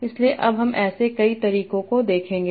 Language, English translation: Hindi, And we will see a lot of such methods of doing that